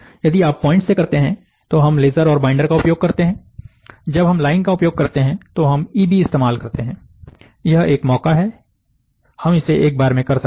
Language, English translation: Hindi, If you do point we use laser, we use binder, we used EB, when we use line, it is an exposure, we can do in one shot